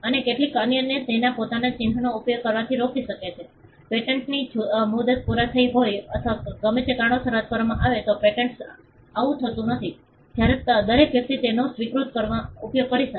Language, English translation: Gujarati, And Airtel can stop others from using its own mark, this is not the case with a patent if the patent is expired or revoke for whatever reason, when everybody can use that acknowledge